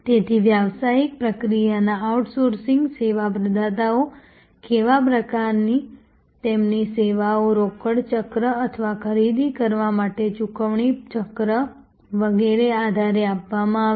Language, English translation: Gujarati, So, the kind of business process outsourcing service providers their services will be measured on the basis of reduction of order to cash cycle or purchase to pay cycle and so on